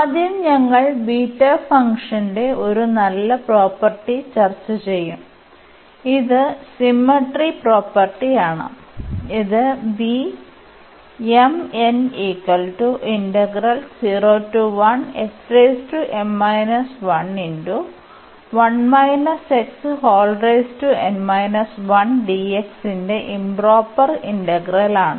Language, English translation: Malayalam, First we will discuss the property one nice property of this beta function which is the symmetry property and this is the improper integral for beta B m, n